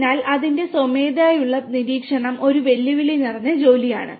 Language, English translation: Malayalam, Hence, its manual monitoring is a pretty challenging task